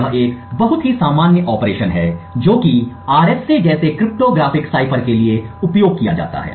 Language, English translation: Hindi, It is a very common operation that is used for cryptographic ciphers like the RSA